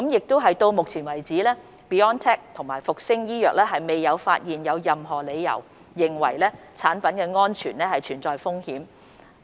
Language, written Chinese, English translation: Cantonese, 到目前為止 ，BioNTech 和復星醫藥未有發現任何理由認為產品安全存在風險。, So far BioNTech and Fosun Pharma have no reason to believe that there is a risk to product safety